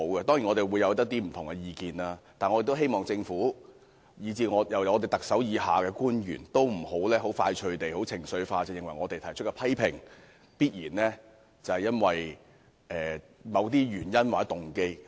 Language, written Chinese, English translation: Cantonese, 當然，大家會抱持不同的意見，但我希望政府及特首以下的官員不要快速或情緒化地認為，我們提出批評，必然是基於某些原因或動機。, True Members may hold divergent views; but then I do not hope that the Government or officials under the Chief Executive will hasten or be driven by their emotions to think that our criticisms are necessarily founded on certain ulterior intentions or motives